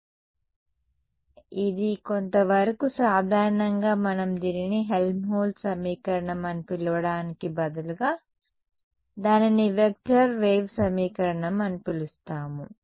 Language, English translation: Telugu, So, more generally we will instead of calling it Helmholtz equation we just call it a vector wave equation right